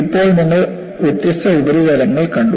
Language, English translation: Malayalam, Right now, you have seen different surfaces